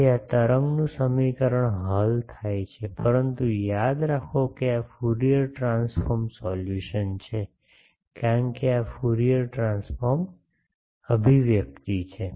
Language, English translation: Gujarati, So, this wave equation is solved, but remember actually this is the Fourier transforms solution, because this is a Fourier transform expression